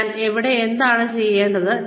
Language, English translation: Malayalam, What am I here to do